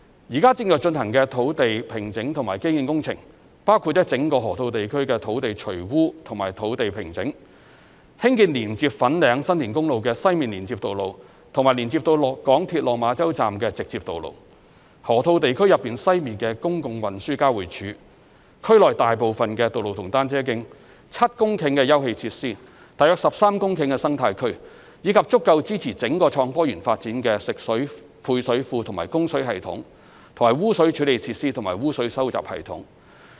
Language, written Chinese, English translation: Cantonese, 現正進行的土地平整及基建工程，包括了整個河套地區的土地除污及工地平整，興建連接粉嶺/新田公路的西面連接道路及連接到港鐵落馬洲站的直接道路、河套地區內西面的公共運輸交匯處、區內大部分道路和單車徑、7公頃的休憩設施、約13公頃的生態區，以及足夠支持整個創科園發展的食水配水庫、供水系統、污水處理設施及污水收集系統。, The site formation and infrastructure works currently in progress include land decontamination and site formation for the entire Loop the construction of a western connection road to connect FanlingSan Tin Highway a direct road link to connect to the MTR Lok Ma Chau Station a public transport interchange within the western part of the Loop most of the roads and cycle tracks within the Loop 7 hectares of recreational facilities about 13 hectares of ecological area as well as a fresh water service reservoir and water supply system sewage treatment works and a sewerage system which will be sufficient to support the development of the entire HSITP . The sewage treatment works covered by the Governments public works programme are expected to complete in the second half of 2026